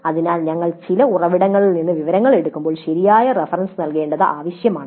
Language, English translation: Malayalam, So when we pick up the information from some source, it is necessary to give proper reference